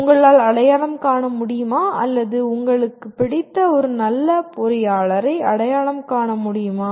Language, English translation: Tamil, Can you identify or you identify your favorite good engineer